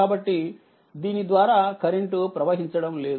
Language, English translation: Telugu, So, no current is flowing through this